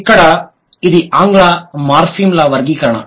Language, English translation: Telugu, This is the classification of English morphims